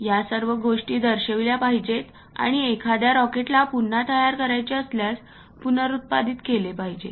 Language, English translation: Marathi, All these things supposed to be represented and reproduce if one would like to rebuild a rocket